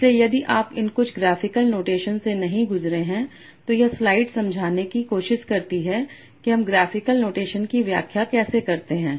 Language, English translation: Hindi, So if you have not gone through some of these graphical notation, so this slide tries to explain how do you interpret graphic a notation